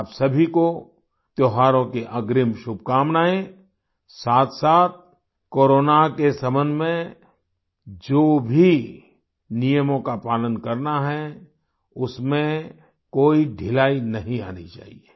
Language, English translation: Hindi, Best wishes in advance to all of you for the festivals; there should not be any laxity in the rules regarding Corona as well